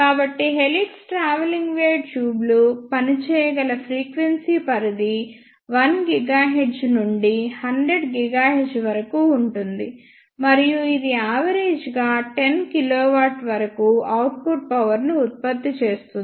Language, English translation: Telugu, So, the range of frequencies over which the helix travelling wave tubes can work is from 1 gigahertz to 100 gigahertz; and it can generate output powers up to 10 kilowatt average